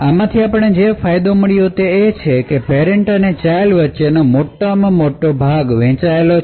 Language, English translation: Gujarati, So, the advantage we obtained from this is that a large portion between the parent and the child is shared